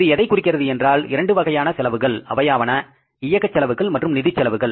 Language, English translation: Tamil, So, it means it includes two kinds of expenses, operating expenses and financial expenses